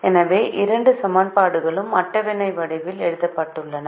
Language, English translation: Tamil, so the two equations are written this way, in the form of a table